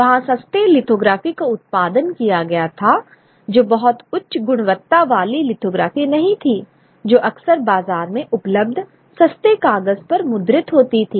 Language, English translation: Hindi, You know, the cheap, they were cheap lithographies produced, not very high quality lithographies, often printed on cheap paper available in the market